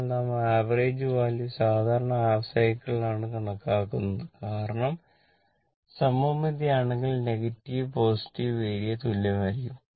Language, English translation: Malayalam, So, the average value is taken over the half cycle because, if it is symmetrical, that I told you the negative and positive area and negative area will be same